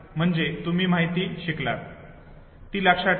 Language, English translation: Marathi, So you have learnt the information, memorized it